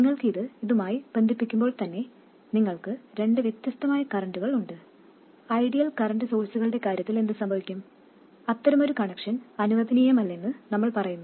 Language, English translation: Malayalam, When you do connect it up like this and you do have two currents which are different, what happens in case of ideal current sources we say that such a connection is not permitted